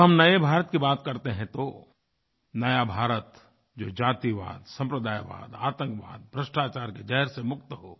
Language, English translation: Hindi, When we talk of new India then that new India will be free from the poison of casteism, communalism, terrorism and corruption; free from filth and poverty